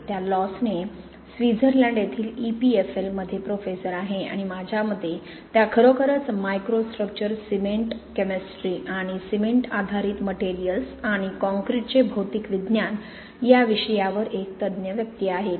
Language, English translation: Marathi, She is a Professor at EPFL in Lausanne, Switzerland and according to me she is really an authority on microstructure, cement chemistry and material science of cement based materials and concrete